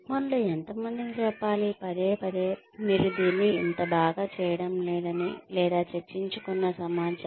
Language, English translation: Telugu, How many of us want to be told, time and again, that you are not doing this so well, or if the information, that is discussed